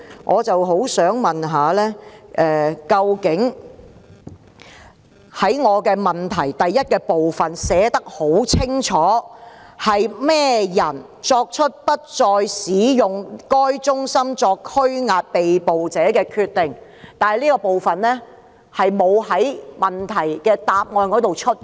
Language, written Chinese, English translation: Cantonese, 我在主體質詢第一部分清楚問到，是何人作出不再使用該中心作拘押被捕示威者的決定，但主體答覆卻沒有回答這部分。, In part 1 of the main question I asked explicitly about the persons who made the decision of no longer using the Centre for detaining the arrested demonstrators but this part was not answered in the main reply